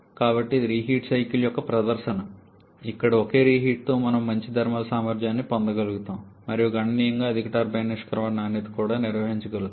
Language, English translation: Telugu, So, that is a demonstration of the reheat cycle where with a single reheat we are able to get a decent thermal efficiency and also able to maintain a significantly high turbine exit quality